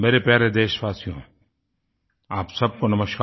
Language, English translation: Hindi, My dear countrymen, Namaskar to all of you